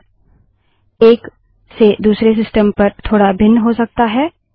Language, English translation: Hindi, This may slightly vary from one system to another